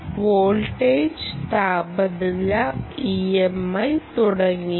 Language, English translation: Malayalam, voltage temperature e m, i and so on